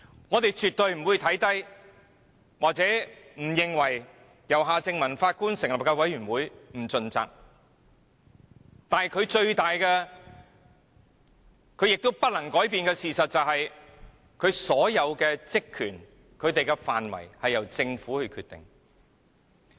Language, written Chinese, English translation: Cantonese, 我們絕對沒有看扁或認為由前法官夏正民擔任主席的調查委員會不盡責，但連他也不能改變的事實是，調查委員會的職權及調查範圍均由政府決定。, We absolutely have not belittled the Commission of Inquiry led by former Judge Mr Michael John HARTMANN or thought that the Commission of Inquiry would not act responsibly . However there is one fact that even HARTMANN cannot change ie . both the terms of reference and scope of inquiry of the Commission of Inquiry are decided by Government